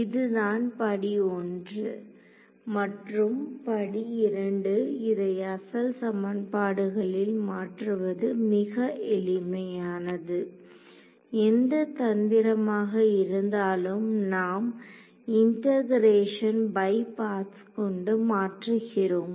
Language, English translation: Tamil, So, this was step 1 and the step 2 is very simple substitute this into the original equation whatever trick we did integration by parts we substituted back in